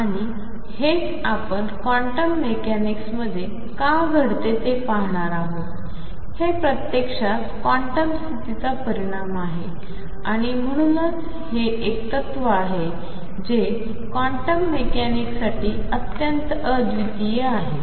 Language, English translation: Marathi, And that is what we are going to see why it happens in quantum mechanics it actually is a result of the quantum condition and therefore, this is a principle which is very unique to quantum mechanics